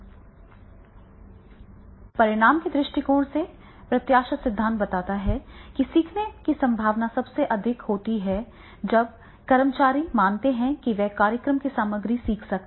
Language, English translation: Hindi, From a training perspective, expectancy theory suggests that learning is most likely to occur when employees believe they can learn the content of the program, right